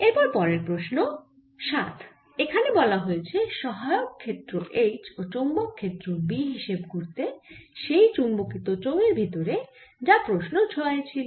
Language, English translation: Bengali, it says the auxiliary field h and magnetic field b inside the magnetized cylinder of question number six is